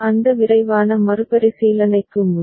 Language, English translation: Tamil, Before that quick recap